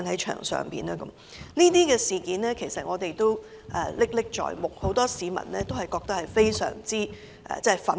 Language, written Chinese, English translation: Cantonese, 這些事件，我們其實仍然歷歷在目，很多市民對此均感到非常憤怒。, This incident is actually still vivid in our minds and many people are furious about that